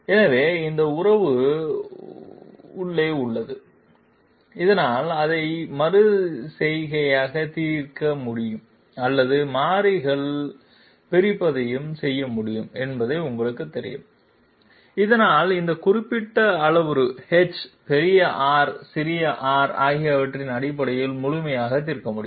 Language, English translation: Tamil, So this is this relation is containing A inside so that it can be iteratively solved or you know separation of variables can also be done so that it can be solved completely in terms of this particular parameter h, big R, small r